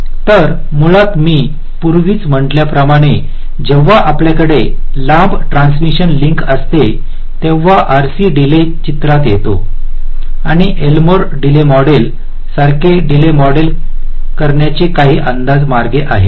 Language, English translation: Marathi, so basically, as i mentioned earlier, that when we have a long transmission link, the rc delay comes into the picture and there are some approximate ways to model this delays, like the lmo delay model